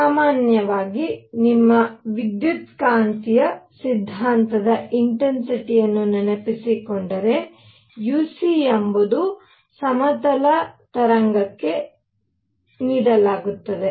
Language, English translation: Kannada, Usually, if you have recalled your electromagnetic theory intensity uc and that is given for a plane wave